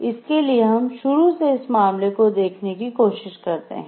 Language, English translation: Hindi, So, if we go back to the case from the start and we try to see it